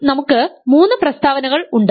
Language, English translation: Malayalam, So, we have three statements now